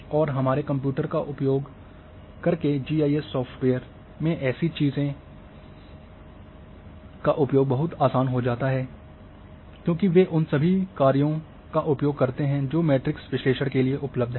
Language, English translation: Hindi, And uses of such thing become much easier in GIS software using our computers because they uses the you know all the functions which are available for matrix analysis